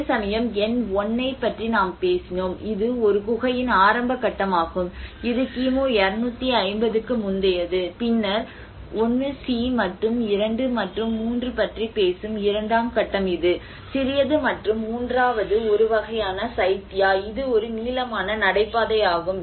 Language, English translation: Tamil, \ \ And whereas where we talked about number 1 which is of a very rudimentary stage of a cave which is about dates back to pre 250 BC and then the phase II which talks about the 1c and 2 and 3 which is a smaller one and the third one is a kind of a Chaitya which is an elongated corridor